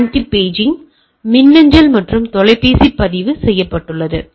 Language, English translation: Tamil, So, it is logged serious events anti guard paging email and telephone right